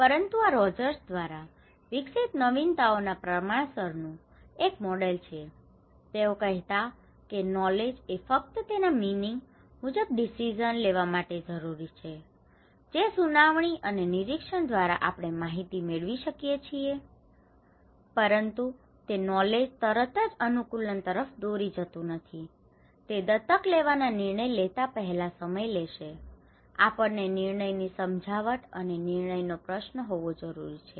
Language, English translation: Gujarati, But this is a model of diffusion of innovations developed by Rogers, they are saying that knowledge is important to make decisions like knowledge means, information which we can get through hearing and observation but knowledge immediately does not lead to adaptation; no, no, it takes time, before making adoption decisions, we need to have decision persuasions and decision question